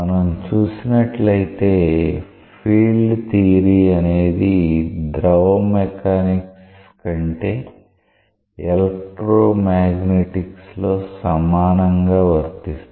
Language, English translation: Telugu, See field theory is something which is so general that it is applicable equally in electro magnetics than in fluid mechanics